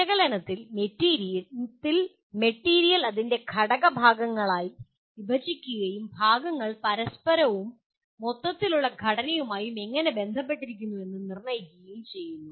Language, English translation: Malayalam, Analyze involves breaking the material into its constituent parts and determining how the parts are related to one another and to an overall structure